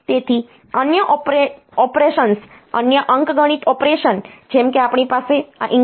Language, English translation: Gujarati, So, other operations other arithmetic operation like we have to have this increment decrement operation